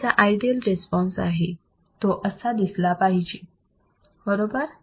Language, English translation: Marathi, This is my ideal response, it should look like this right